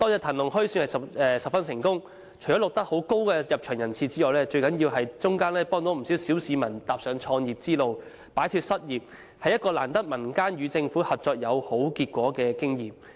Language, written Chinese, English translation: Cantonese, "騰龍墟"可算辦得十分成功，除了錄得甚高的入場人次外，最重要是幫助了不少小市民踏上創業之路，擺脫失業，是民間與政府合作而有好結果的難得經驗。, Other than attracting large numbers of visitors more importantly it also encouraged many people to start up a business to get out of unemployment . We seldom find such a success in the cooperation between the public and the Government